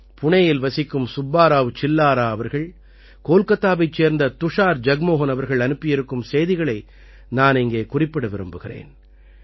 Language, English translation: Tamil, I will also mention to you the message of Subba Rao Chillara ji from Pune and Tushar Jagmohan from Kolkata